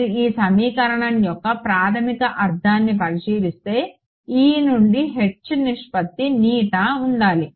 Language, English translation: Telugu, if you look at the basic meaning of this equation is that the ratio of E to H should be eta that is all